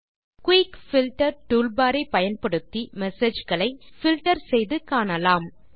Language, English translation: Tamil, You can use the Quick Filter toolbar to quickly filter and view messages